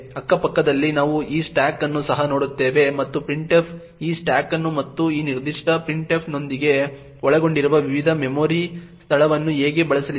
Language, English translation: Kannada, Side by side we will also look at this stack and how printf is going to use this stack and the various memory location that are involved with this particular printf